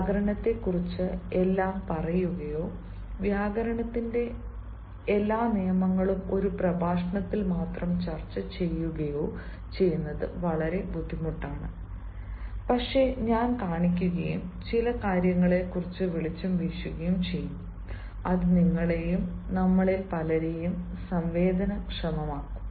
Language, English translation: Malayalam, it is very difficult to say everything about grammar or discuss all the rules of grammar just in one lecture, but then i will show and i will throw some light on certain things which will, in a way, sensitize you and also many of us